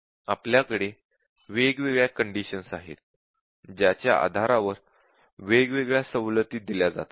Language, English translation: Marathi, Now there are different conditions based on which different discounts are given